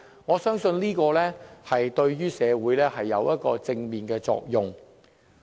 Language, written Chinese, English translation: Cantonese, 我相信這點對於社會是有正面作用的。, I believe that will have a positive impact on society